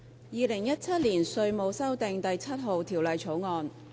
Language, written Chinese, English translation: Cantonese, 《2017年稅務條例草案》。, Inland Revenue Amendment No . 4 Bill 2017